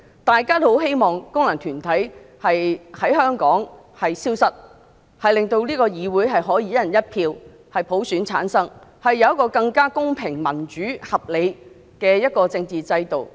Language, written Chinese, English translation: Cantonese, 大家也希望功能界別從香港消失，令立法會議員可以由"一人一票"的普選產生，有更公平、民主、合理的政治制度。, We all hope that FCs will disappear from Hong Kong so that Legislative Council Members can be elected through universal suffrage of one person one vote and there will be a fairer more democratic and more reasonable political system